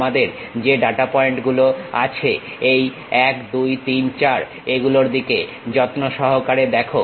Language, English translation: Bengali, Let us look at carefully, the data points what we have is 1, 2, 3, 4